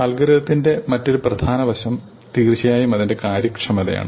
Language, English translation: Malayalam, The other important aspect of algorithm is of course its efficiency